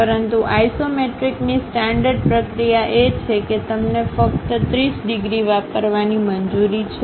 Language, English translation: Gujarati, But the standard process of isometric is, you are permitted to use only 30 degrees